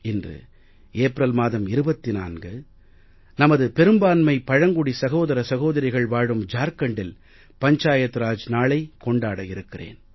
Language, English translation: Tamil, And today, on 24th April, I am going to Jharkhand, where mostly my tribal brothers and sisters stay